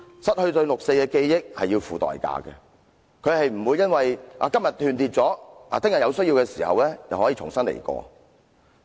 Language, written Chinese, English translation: Cantonese, 失去對六四事件的記憶是要付出代價的，不是今天斷裂了，明天有需要的時候就可以重新得到。, We will have to pay a price if we lose our memory of the 4 June incident . It is not true to say that even if the memory link is severed today we can recover it tomorrow if need be